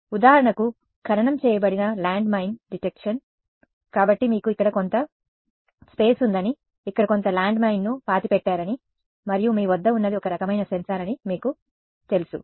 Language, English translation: Telugu, For example, buried land mine detection; so, let us say you know you have some ground over here, you have some landmine buried over here and what you have is some kind of a sensor